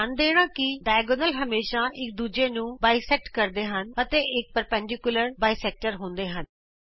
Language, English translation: Punjabi, Notice that the diagonals always bisect each other and are perpendicular bisectors